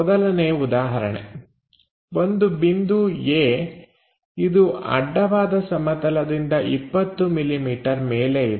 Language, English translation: Kannada, Let us ask a question there is a point A which is 20 millimetres above horizontal plane